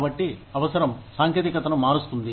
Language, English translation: Telugu, So, necessity changes the technology